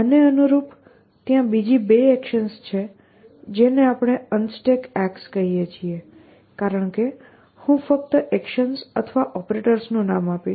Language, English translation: Gujarati, Corresponding to these there are two more actions which we call as unstuck because I will just name the actions or operators